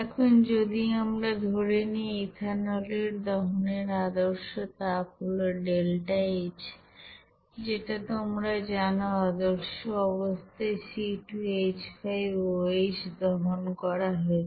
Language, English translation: Bengali, Now if we consider that standard heat of actually combustion for ethanol delta H you know combustion at standard condition for C2H5OH